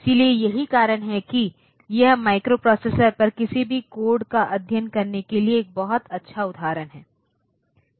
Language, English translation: Hindi, So, that is why this makes a very good example to study any codes on microprocessors